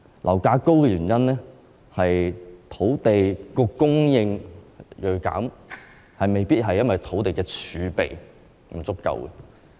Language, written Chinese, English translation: Cantonese, 樓價高企的原因是土地供應銳減，不一定因為土地儲備不足。, Property prices are on the high side because of a drastic fall in land supply not necessarily because of insufficient land reserve